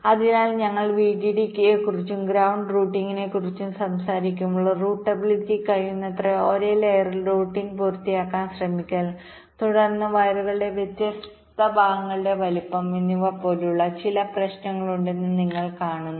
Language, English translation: Malayalam, so you see that when we talk about vdd and ground routing, there are some other issues like routablity, trying to complete the routing on the same layer as possible, and then sizing of the different segments of the wires